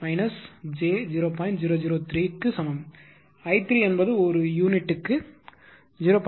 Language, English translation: Tamil, 004 per unit and i 4 is equal to 0